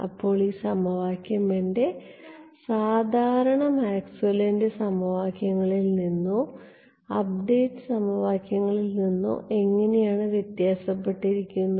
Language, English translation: Malayalam, So, how does this equation differ from my usual Maxwell’s equations or update equations